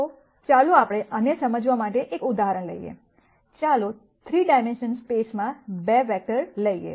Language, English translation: Gujarati, So, let us take an example to understand this, let us take 2 vectors in 3 dimensional space